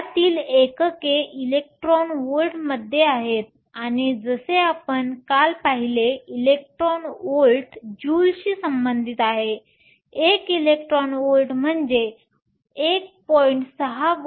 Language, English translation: Marathi, The units for these are in electron volts; and as we saw yesterday electron volts is related to joules; one electron volt is nothing but 1